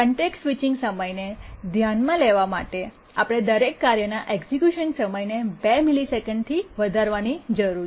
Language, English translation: Gujarati, To take the context switching time into account, we need to increase the execution time of every task by 2 milliseconds